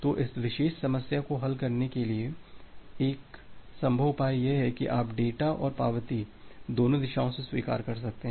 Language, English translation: Hindi, So, one possible solution to solve this particular problem is that you can piggyback data and acknowledgement from both the direction